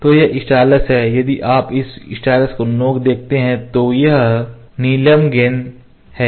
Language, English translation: Hindi, So, this is stylus if you see the tip of this stylus, this is sapphire ball